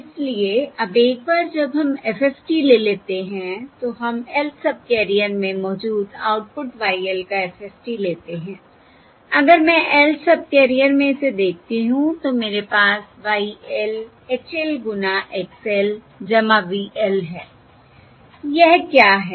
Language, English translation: Hindi, So now, once we take the FFT, now, once we take the FFT, taking the, taking the FFT of the output we have across the Lth subcarrier, Y L, that, if I look at this across the Lth subcarrier I have Y L equals H L times X L plus V L